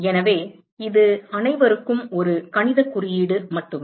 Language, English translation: Tamil, So, it is just a mathematical notation for all